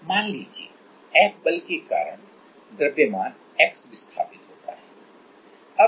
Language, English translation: Hindi, Let us say, the mass move by x because of the force F